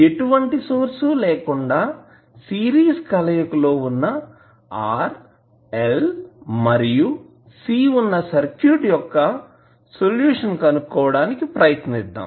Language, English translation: Telugu, We will try to find the solution of those circuits which are series combination of r, l and c without any source